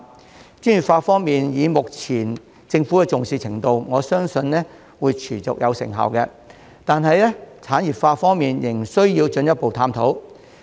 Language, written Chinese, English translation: Cantonese, 在專業化方面，觀乎政府目前的重視程度，我相信會持續有成效，但在產業化方面，則仍需進一步探討。, Regarding professionalization I can tell from the current commitment of the Government that there will be sustainable results . Yet industrialization needs to be explored further